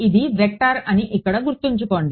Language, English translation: Telugu, Remember here this is a vector